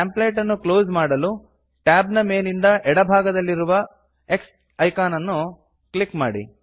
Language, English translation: Kannada, To close the template, click the X icon on the top left of tab